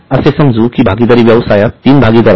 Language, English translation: Marathi, So, in the partnership firm, let us say there are three partners